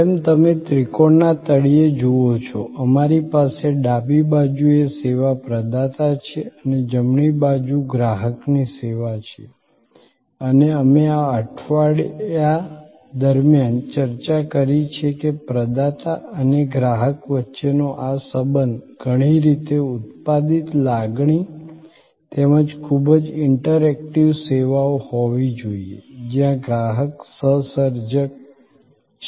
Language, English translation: Gujarati, As you see at the bottom of the triangle we have on the left the service provider on the right service customer and we have discussed throughout this week that this relationship between the provider and the customer has to be very interactive services in many ways a co produced feeling, where the customer is a co creator